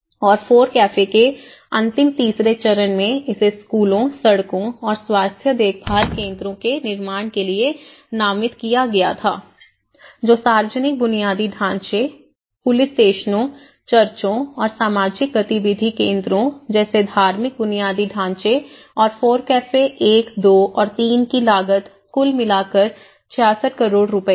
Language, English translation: Hindi, And, in the last FORECAFE third stage it was designated for construction of schools, roads and health care centres, which has more to do with the public infrastructure, police stations, religious infrastructure like churches and social activity centres and FORECAFE 1, 2 and 3 together it talks about 66 crores rupees